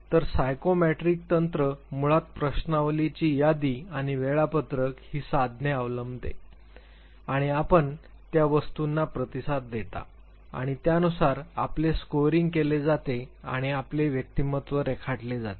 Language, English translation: Marathi, So, psychometric technique basically adopts these tools questionnaire inventories and schedules and you respond to those items and accordingly your scoring is done and your personality is a sketched